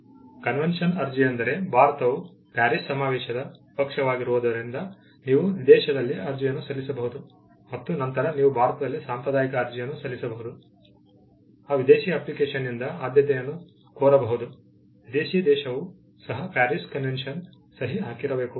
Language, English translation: Kannada, The convention application is, because India is a party to the Paris convention, you can file an application in a foreign country and then you can file a convention application in India, seeking the priority from that foreign application, provided the foreign country is also a signatory to the Paris convention